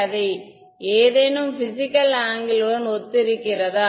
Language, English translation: Tamil, Do they correspond to any physical angle